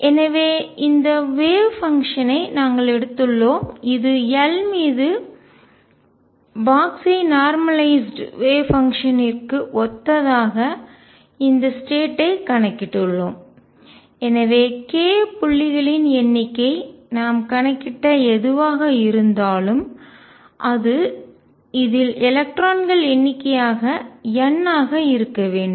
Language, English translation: Tamil, And so, we had taken these way function we have counted this state’s corresponding to the way function which have been box normalized over L and therefore, the number of k points came out to be whatever we have calculated, and that should be the number of electrons n in this